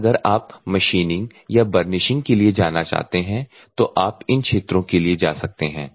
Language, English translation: Hindi, And if at all you want to go for machining or burnishing, machining or burnishing we can go for these particular regions